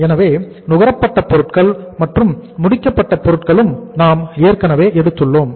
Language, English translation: Tamil, So material consumed we have already taken and finished goods we have already taken